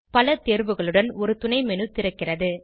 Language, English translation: Tamil, A sub menu opens with many options